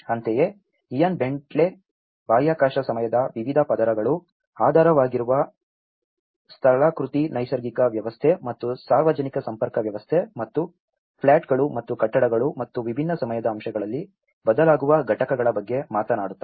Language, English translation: Kannada, Similarly, Ian Bentley also talks about how different layers of the space time the underlying topography, the natural system and the public linkage system and the plots and the buildings and the components which changes at different time aspects